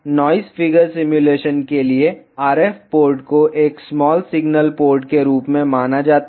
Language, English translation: Hindi, For noise figure simulation, the RF port is treated as a small signal port